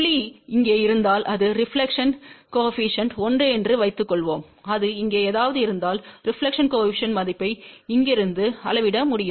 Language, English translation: Tamil, Suppose if the point is here which is then reflection coefficient 1, suppose if it is somewhere here , then the reflection coefficient value can be correspondingly measure from here